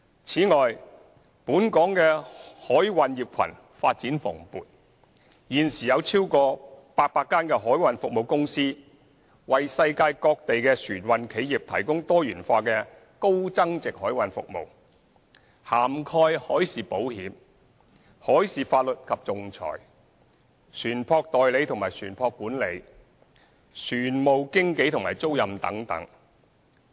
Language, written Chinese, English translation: Cantonese, 此外，本港的海運業群發展蓬勃，現時有超過800間海運服務公司，為世界各地的船運企業提供多元化的高增值海運服務，涵蓋海事保險、海事法律及仲裁、船務代理和船舶管理、船務經紀及租賃等。, In addition the maritime industry in Hong Kong is booming . At present there are more than 800 maritime companies providing diversified high value - added maritime services to maritime enterprises around the world . Their services include maritime insurance maritime law and arbitration ship agency and ship management ship brokerage and leasing etc